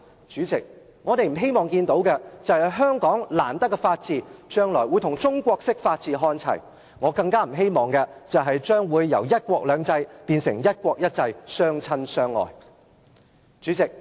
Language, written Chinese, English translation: Cantonese, 主席，我們不希望看到，香港難得的法治將來會與中國式法治看齊，我更不希望"一國兩制"會變成"一國一制"，相親相愛。, President we do not wish to see the hard - earned rule of law in Hong Kong debase to the level of Chinese - style rule of law one day . I all the more would not wish to see one country two systems become one country one system in an affinity that denies individuality